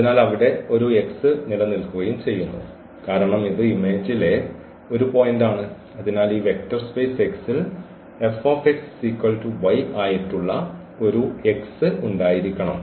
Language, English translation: Malayalam, So, if we take a point in the image F now and there exists a X because this is a point in the image, so, there must exists a X in this vector space X such that this F x is equal to y